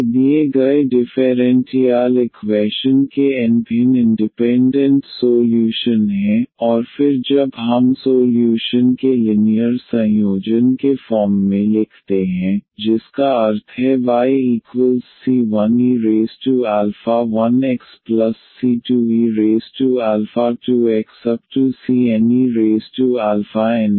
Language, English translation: Hindi, These are the n different independent solutions of the given differential equation and then when we write down as the linear combination of the solutions meaning y is equal to c 1 e power alpha 1 x c 2 e power alpha 2 x and so on